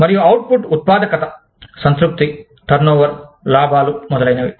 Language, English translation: Telugu, And, the output is productivity, satisfaction, turnover, profits, etcetera